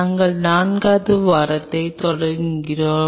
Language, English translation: Tamil, We are starting the 4th week